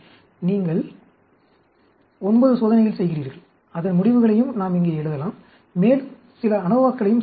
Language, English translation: Tamil, So, you do 9 experiments, and the results also we can write down here, and we can do some anovas